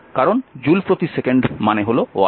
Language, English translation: Bengali, So, joule is equal to watt second